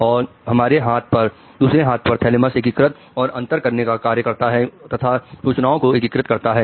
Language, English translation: Hindi, Thalamus on the other hand is integrating and taking all differentiation and integration of information